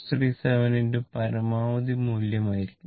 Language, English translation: Malayalam, 637 into maximum value right